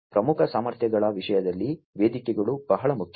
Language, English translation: Kannada, In terms of the core competencies, the platforms are very important